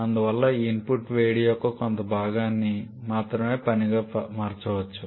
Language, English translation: Telugu, And therefore only a portion or only a fraction of this input heat can be converted to work